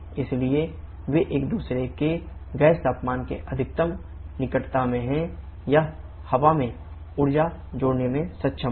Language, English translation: Hindi, So they are in close proximity of each other gas temperature being higher it will be able to add energy to the air